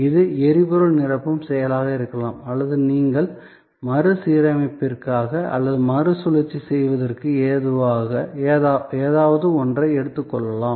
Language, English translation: Tamil, So, this could be the act of refueling or when you take something for refurbishing or maybe for disposal of a recycling